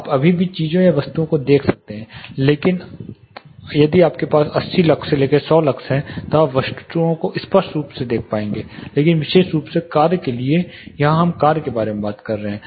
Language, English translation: Hindi, You can still see visualize things or objects if you have 80 luxs to 100 luxs you will able to clearly see objects, but for task specifically here we are talking about task